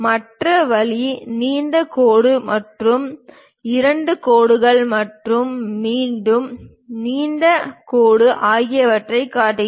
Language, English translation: Tamil, The other way is showing long dash followed by two dashed lines and again long dash